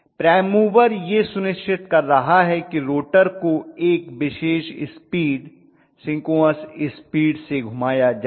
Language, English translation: Hindi, The prime mover is making sure that the rotor is rotated at a particular speed, synchronous speed